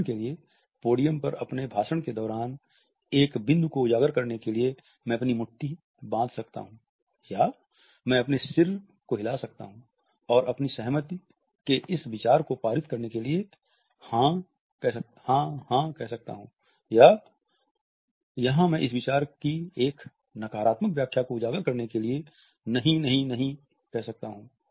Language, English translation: Hindi, For example, I may found my fist on the podium during my speech to highlight a point or to negative point or I may nod my head, and say “yes, yes, yes” in order to forcibly pass on this idea of my consent, or I can say “no, no, no, no, no” to highlight this idea that I actually want a negative interpretation here